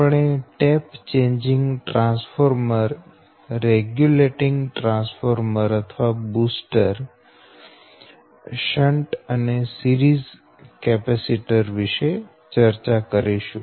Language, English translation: Gujarati, but we will discuss on tap changing transformer regulators or boosters, shunt capacitors and series capacitors